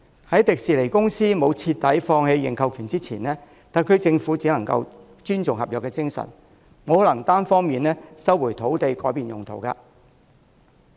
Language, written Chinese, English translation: Cantonese, 在迪士尼公司徹底放棄認購權前，特區政府只能尊重合約精神，不能單方面收回土地改變用途。, To show its respect for the spirit of contract the Government cannot resume the land and change its use unilaterally unless TWDC gives up the option to purchase